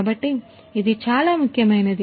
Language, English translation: Telugu, So, this is something very important